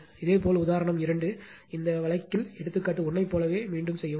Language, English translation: Tamil, Similarly, example 2; in this case repeat example 1 with Z L is equal to R plus j x l